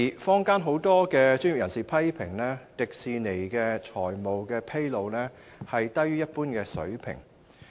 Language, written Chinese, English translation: Cantonese, 坊間有很多專業人士批評，迪士尼在財務狀況披露方面，低於一般水平。, Many professionals in the society criticized that Disneyland is below the general standard in terms of financial disclosure